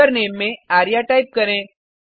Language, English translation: Hindi, Type the username as arya